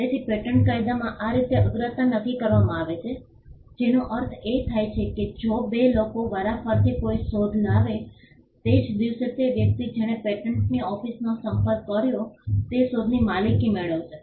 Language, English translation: Gujarati, So, this is how priority is determined in patent law which means if two people simultaneously came up with an invention say on the same day the person who approached first the patent office will get the ownership over the invention